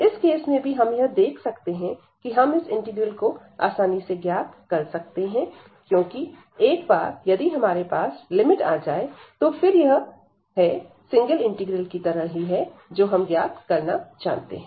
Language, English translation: Hindi, So, in this case also we have seen that we can easily evaluate the integrals, because once we have these limits we are going back to the single integrals, which we know how to evaluate